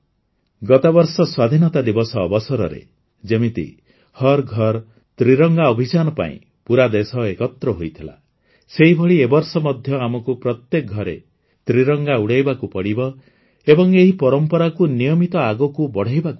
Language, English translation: Odia, Last year on the occasion of Independence Day, the whole country came together for 'Har GharTiranga Abhiyan',… similarly this time too we have to hoist the Tricolor at every house, and continue this tradition